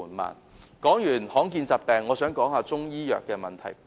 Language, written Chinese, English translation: Cantonese, 談過罕見疾病，我亦想探討中醫藥的問題。, Having discussed rare diseases I also wish to talk about issues relating to Chinese medicine